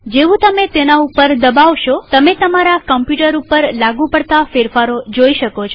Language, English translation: Gujarati, As soon as you click on that you can see that changes have applied to your machine